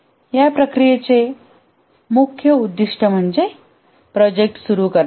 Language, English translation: Marathi, The main goal of these processes is to start off the project